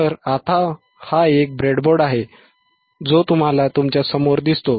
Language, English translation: Marathi, So, now, this is a breadboard that you can see in front of you right